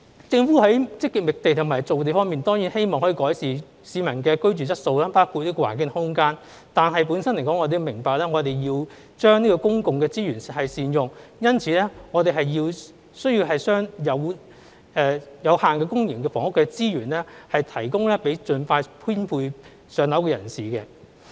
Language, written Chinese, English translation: Cantonese, 政府在積極覓地和造地方面當然希望可以改善市民的居住質素，包括環境及空間，但我們明白我們要善用公共資源，因此我們需要將有限的公營房屋的資源，提供給需要盡快編配"上樓"的人士。, In respect of actively identifying and creating land the Government certainly hopes to improve peoples living quality in such aspects as environment and space but we understand the importance of making good use of public resources . Therefore we have to provide the limited public housing resources to those who need to be allocated with a flat as soon as possible